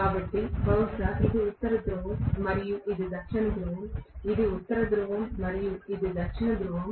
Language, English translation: Telugu, So maybe this is North Pole, this is South Pole, this is North Pole and this is South Pole